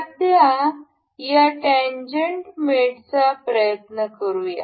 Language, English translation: Marathi, For now let us try this tangent mate